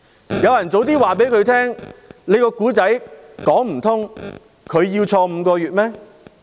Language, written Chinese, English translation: Cantonese, 如果有人早些告訴他，他的故事說不通，他要入獄5個月嗎？, If someone had told Howard LAM that his story did not make sense he would not have been sentenced to five months imprisonment